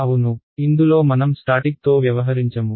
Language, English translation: Telugu, Yeah in this we will not deal with static